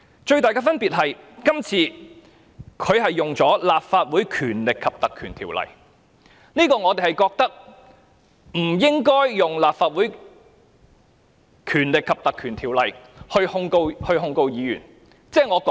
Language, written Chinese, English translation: Cantonese, 最大的分別是，今次律政司是根據《條例》作出檢控，而我們認為當局不應引用《條例》來控告議員。, The biggest difference is that this time DoJ has instituted prosecution under PP Ordinance and we hold that the authorities should not invoke PP Ordinance to lay charges against the Members